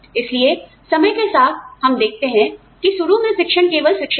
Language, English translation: Hindi, So, over time, when we see that, initially, teaching was only teaching